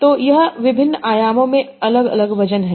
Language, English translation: Hindi, It has a high weight in this dimension,